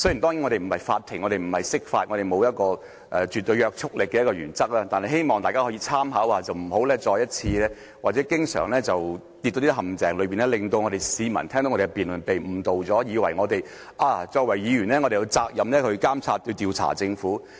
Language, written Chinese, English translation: Cantonese, 當然，我們不是法庭，我們不是釋法，我們沒有一項絕對約束力的原則，但希望大家可以參考一下，不要經常跌進陷阱，令市民聽到我們的辯論時被誤導，以為我們作為議員，有責任監察和調查政府。, Of course this Council is not a court and we are not supposed to give any interpretation of the law . We do not have an absolute principle which is totally binding . However I hope that Members can study these principles so that we can avoid the trap of misleading the people listening to our debate into thinking that we as Legislative Council Members have the responsibility to monitor and investigate the Government